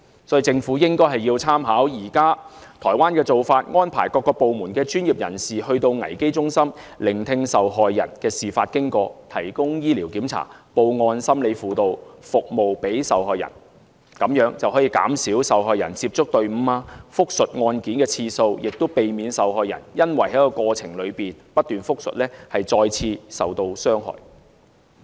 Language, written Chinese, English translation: Cantonese, 所以政府應該參考現時台灣的做法，安排各個部門的專業人士前往危機中心，聆聽受害人講述事發經過，並提供醫療檢查、報案、心理輔導服務給受害人，這樣便可以減少受害人接觸隊伍和複述案件的次數，也避免受害人因為過程中不斷複述而再次受到傷害。, For this reason the Government should draw reference from the current practice of Taiwan by sending the experts of various departments to the crisis centre to listen to the recounting of the victim provide the medical examination take the statement and provide psychological counselling service to the victim . This will greatly minimize the frequencies for the victim to get in contact with the expert team and recounting the ordeal . It can also prevent the victim from being traumatized for the second time when repeating the embarrassing details of the assault again and again